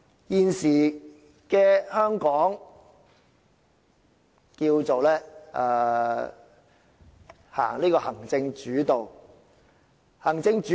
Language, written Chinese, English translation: Cantonese, 現時香港可謂實施行政主導，何謂行政主導？, At present Hong Kong practises an executive - led system so to speak